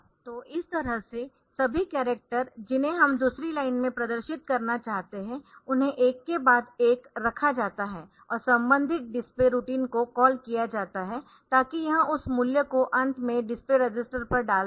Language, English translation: Hindi, So, this way all the character that we want to display on the second line so, they are put on one after the other and this correspond the display routine is called so, that it will be putting that value on to the display register and at the end